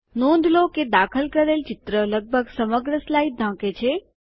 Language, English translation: Gujarati, Notice that the inserted picture covers almost the whole slide